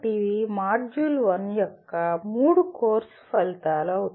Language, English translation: Telugu, So these are the three course outcomes of the module 1